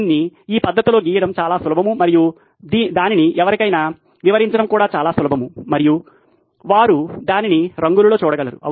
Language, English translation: Telugu, It is easier to draw it in this manner and to explain it to somebody is also quite easy and also they can see it in colours